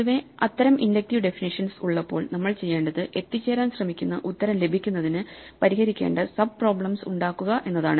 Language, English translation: Malayalam, In general, when we have such inductive definitions, what we do is we have sub problems that we have to solve in order to get to the answer we are trying to reach